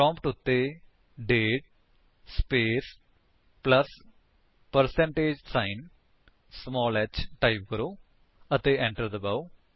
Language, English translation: Punjabi, Type at the prompt: date space plus percentage sign small h and press Enter